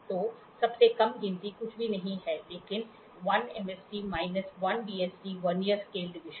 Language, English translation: Hindi, So, least count is nothing but 1 MSD minus 1 VSD, Vernier scale division